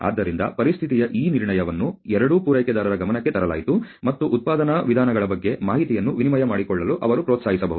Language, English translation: Kannada, So, this diagnosis of the situation was brought to the attention of both suppliers, and they could encourage to sort of exchange information about production methods